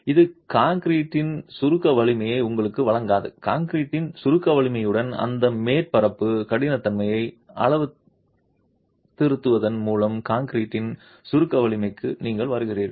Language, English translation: Tamil, You arrive at the compressive strength of concrete by calibration of that surface hardness with the compressive strength of concrete itself